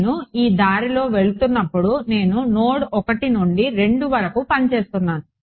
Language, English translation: Telugu, No when you are going from your saying I am working from node 1 to 2 ok